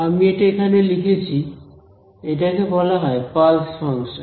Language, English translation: Bengali, I have written it over here it is what is called a pulse function